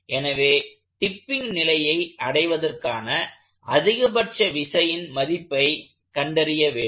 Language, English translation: Tamil, So, we would like to find the condition, the maximum force condition to reach tipping condition